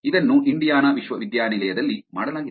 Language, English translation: Kannada, This was done in Indiana university